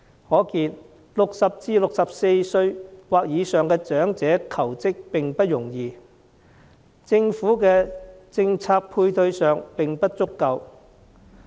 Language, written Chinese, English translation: Cantonese, 可見60歲至64歲或以上的長者求職不容易，政府的政策配套並不足夠。, It is thus evident that it is not easy for elderly job seekers aged between 60 and 64 to find employment and that the support policies implemented by the Government are inadequate